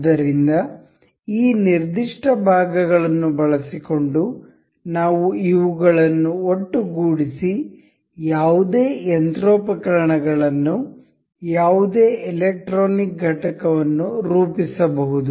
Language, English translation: Kannada, So this is, using the these particular parts we can assemble these to form one machinery any electronic component anything